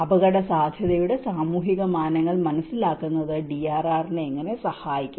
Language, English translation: Malayalam, In what way does understanding of the social dimensions of the risk help drive DRR